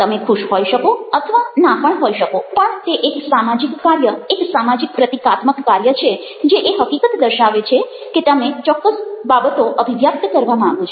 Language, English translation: Gujarati, you may or you may not be happy, but its a social act, a social symbolic act indicative of the fact that you want to convey certain things